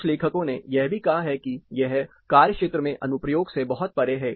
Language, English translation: Hindi, Some of the authors also site that you know this is far beyond field application